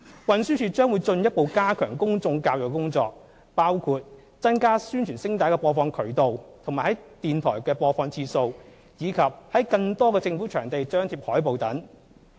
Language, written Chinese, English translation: Cantonese, 運輸署將會進一步加強公眾教育的工作，包括增加宣傳聲帶的播放渠道和在電台的播放次數，以及在更多的政府場地張貼海報等。, TD will further strengthen public education work including increasing the number of channels for broadcasting announcements of public interest and the frequency of such broadcast on radio increasing the number of government venues for displaying posters etc